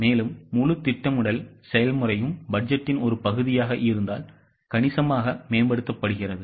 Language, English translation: Tamil, So, the whole planning process is substantially improved if it is a part of budgeting